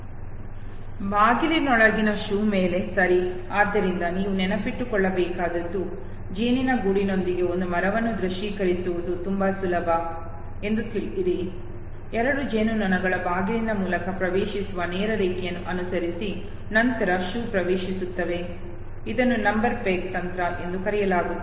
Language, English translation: Kannada, On a shoe inside a door okay, so all you have to memorize know it is very easy to visualize a tree with a hive two bees know following a straight line entering through a door and then entering into a shoe, this is called number peg technique know